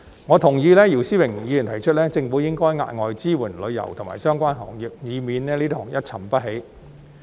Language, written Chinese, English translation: Cantonese, 我同意姚思榮議員提出，政府應該加碼支援旅遊及相關行業，以免這些行業一沉不起。, I agree with Mr YIU Si - wing that the Government should increase its support for the tourism industry and related industries to prevent them from sinking